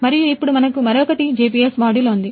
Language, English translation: Telugu, And the other now we have the GPS module